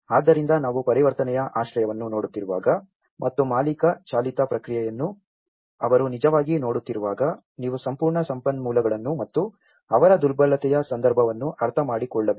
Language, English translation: Kannada, So, this is very important when we are looking at the transitional shelter and as well as when they are actually looking at the owner driven process, you need to understand the whole resources and their vulnerability context itself